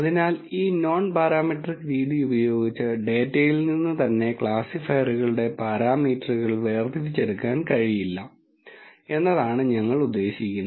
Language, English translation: Malayalam, So, what do you mean by this non parametric method is that there is no extraction of the parameters of the classifiers from the data itself